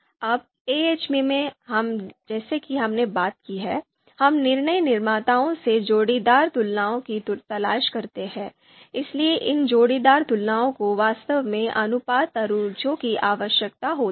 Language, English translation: Hindi, Now in AHP as we have talked about we do pairwise comparison, we seek pairwise comparisons from decision makers, so these pairwise comparisons actually need ratio scales